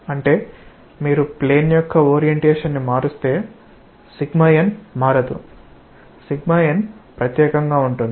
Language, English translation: Telugu, That means, if you change the orientation of the plane, sigma n will not change, sigma n will be unique